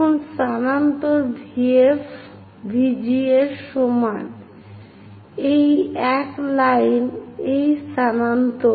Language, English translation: Bengali, Now, transfer VF is equal to VG; this is the one transfer this line